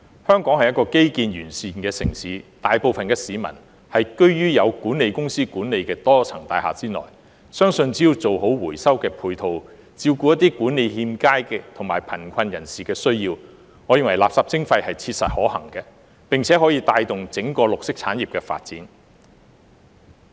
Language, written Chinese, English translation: Cantonese, 香港是一個基建完善的城市，大部分市民居於有管理公司管理的多層大廈內，相信只要做好回收的配套，照顧一些管理欠佳的地方和貧窮人士的需要，我認為垃圾徵費是切實可行的，並且可以帶動整個綠色產業的發展。, Hong Kong is a city with comprehensive infrastructure and most people live in multi - storey buildings managed by management companies . I believe that as long as proper ancillary facilities are provided for recycling and the needs of poorly managed places and the poor are addressed waste charging is practicable and can stimulate the development of the entire green industry